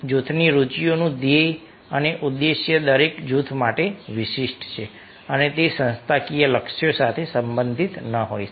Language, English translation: Gujarati, the goal and objective of group interests are specific to each group and may not be related to organizational goals